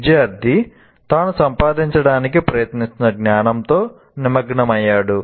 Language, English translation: Telugu, These are the ones where the student is engaged with the knowledge that he is trying to acquire